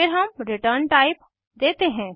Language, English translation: Hindi, Then we give the return type